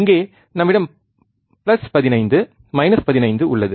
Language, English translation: Tamil, Here we have plus 15 minus 15